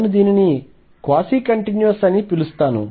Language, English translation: Telugu, What I will call is quasi continuous